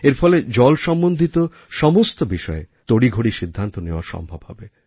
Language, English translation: Bengali, This will allow faster decisionmaking on all subjects related to water